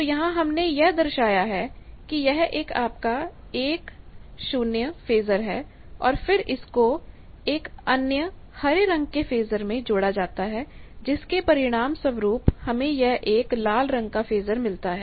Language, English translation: Hindi, Here we have shown that that 1 is your 1 0 phasor and then there is it is summed with another phasor of the green one